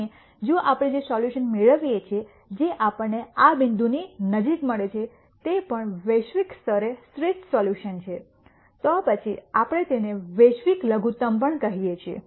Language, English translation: Gujarati, And if the solution that we get the best solution that we get in the vicinity of this point is also the best solution globally then we also call it the global minimum